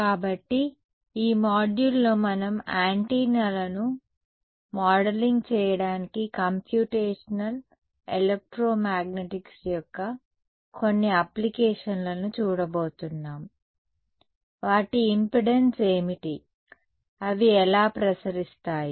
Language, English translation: Telugu, So, in this module we are going to look at some Applications of Computational Electromagnetics to modeling Antennas what is their impedance, how do they radiate